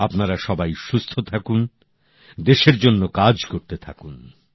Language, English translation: Bengali, May all of you stay healthy, stay active for the country